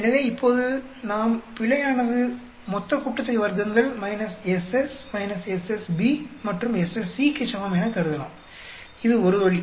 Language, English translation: Tamil, So, now, we can assume the error is equal to total sum of squares minus SS minus SS B and SS C that is one way